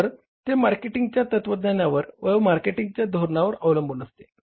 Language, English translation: Marathi, So, that depends upon the marketing philosophy, marketing strategy of the forms